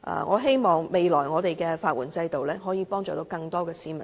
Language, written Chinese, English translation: Cantonese, 我希望未來的法援制度可以幫助更多市民爭取司法公義。, I hope that the future legal aid system will be able to help more members of the public to fight for judicial justice